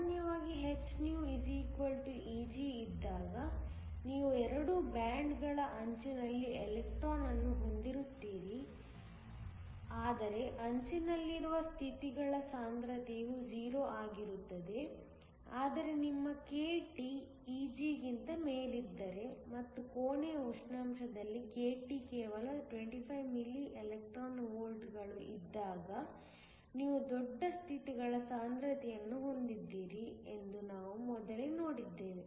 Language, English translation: Kannada, Usually, when hυ = Eg, you have the electron at the edge of both bands, but the densities of states at the edge is 0, but we saw earlier then even if your k T above Eg and k T at room temperature is just 25 milli electron volts, you have a large density of states